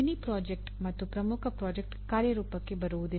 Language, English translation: Kannada, Just saying mini project and major project does not work out